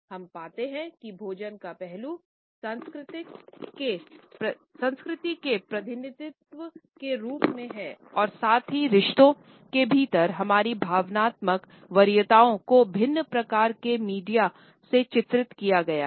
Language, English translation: Hindi, We find that this aspect of food as a representation of culture as well as our emotional preferences within relationships has been portrayed across different types of media